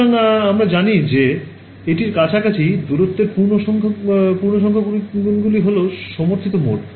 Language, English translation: Bengali, So, we know that you know integer multiples of the distance around this are what will be the supported modes ok